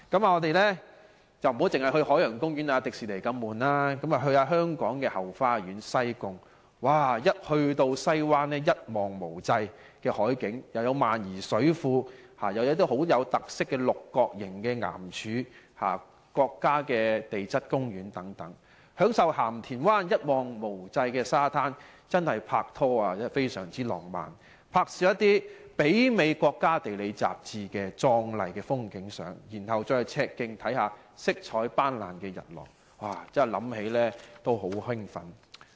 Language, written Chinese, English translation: Cantonese, 我們不要只去海洋公園、迪士尼樂園那麼沉悶，不如去香港的後花園——西貢，那裏有西灣一望無際的海景，有萬宜水庫，亦有可看到很有特色六角形岩柱的國家地質公園，再享受鹹田灣一望無際的沙灘，那確是適合拍拖的浪漫地方，在那兒拍攝一些媲美《國家地理》雜誌的壯麗風景照，然後去赤徑看看色彩斑斕的日落，想起都很令人興奮。, Instead of visiting the Ocean Park or Disneyland which is quite boring I prefer going to Hong Kongs back garden Sai Kung . In Sai Kung the magnificent sea view at Sai Wan the High Island Reservoir and the distinctive hexagonal rock columns at the Hong Kong National Geopark are some of the attractions . The long stretching beach at Ham Tin Wan is a romantic place for dating and a perfect location for taking pictures of magnificent landscapes similar to those found in the magazine National Geographic